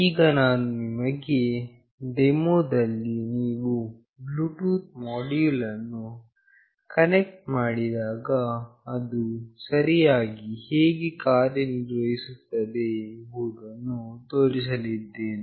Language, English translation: Kannada, Now, I will be showing you in the demonstration how exactly it works when you connect a Bluetooth module